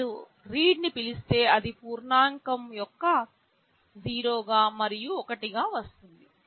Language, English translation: Telugu, If you call read, it will come as either 0 and 1 of type integer